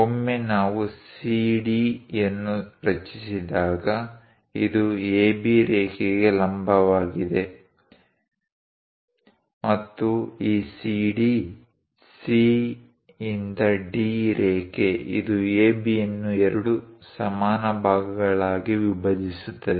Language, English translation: Kannada, Once we construct CD; it is a perpendicular line to AB and also this CD line; C to D line, whatever this is going to bisect AB into two equal parts